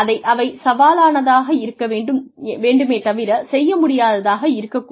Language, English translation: Tamil, They should be challenging, but they should not be undoable